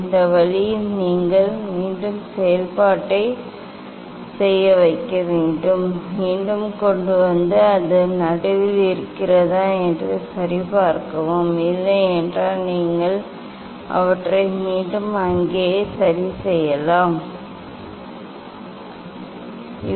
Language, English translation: Tamil, this way you just repeat the operation again, bring back and check it whether it is in middle, if not then you can adjust these take back there, just one two three time, just you can try and keep it in middle